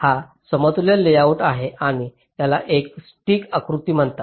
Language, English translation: Marathi, this is an equivalent layout and this is called a stick diagram